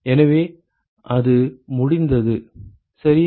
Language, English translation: Tamil, So, that has been worked out ok